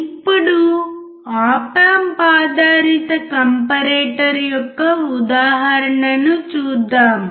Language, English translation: Telugu, Now, let us see the example of the op amp based comparator